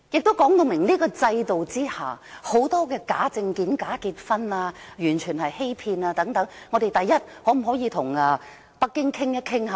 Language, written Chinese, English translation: Cantonese, 這亦說明在這個制度下會出現很多假證件、假結婚等完全屬欺騙行為，第一，我們可否與北京討論？, This figure can actually show that there are so many cases of fake documentations and fake marriages under this system . I simply wonder first why we should not discuss the matter with Beijing